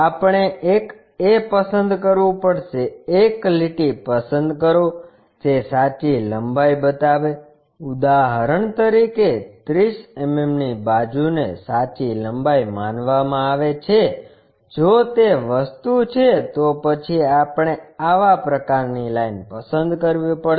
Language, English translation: Gujarati, We have to select a ; select a line which shows true length for example, 30 mm side supposed to be the true length if that is the thing, then we have to pick such kind of line